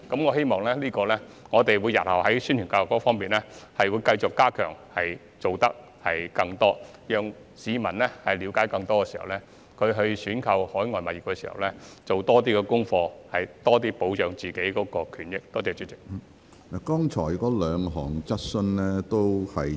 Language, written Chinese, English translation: Cantonese, 我希望日後在宣傳教育方面繼續加強我們的工作，下更多工夫，讓市民了解更多，促使他們在購買海外物業時多做功課，從而對自己的權益有更多保障。, I hope to continuously step up our work in publicity and education in future and make greater efforts to enhance public understanding and incentivize them to do more research when purchasing overseas properties so that their rights and interests can be better protected